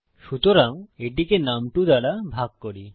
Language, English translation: Bengali, So, lets say this is divided by num2